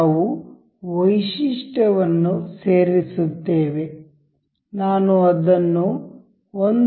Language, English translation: Kannada, We will added the feature, I will make it say 1